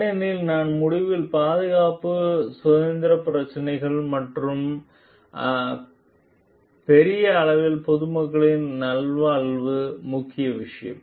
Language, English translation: Tamil, Because at the end of the day the safety, health issues and the well being of the public at large is major thing